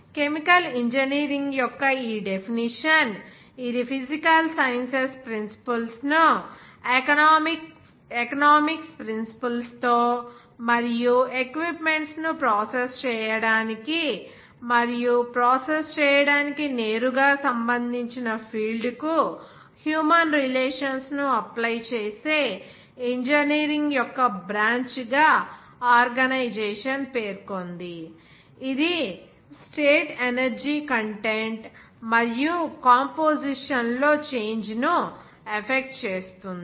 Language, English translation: Telugu, And the organization states this definition of the chemical engineering as the branch of engineering which deals with the application of principles of the physical sciences together with the principles of economics, and human relations to field that pertains directly to process and process equipment in which matter is treated to effect a change in state energy content and also composition